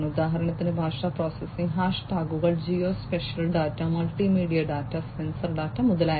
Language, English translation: Malayalam, So, example would be language processing, hash tags, geo spatial data, multimedia data, sensor data, etcetera